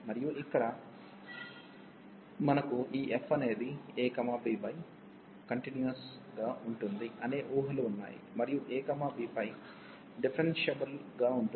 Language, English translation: Telugu, And here we had this assumptions that f is continuous on the close interval a, b and differentiable on the open interval a, b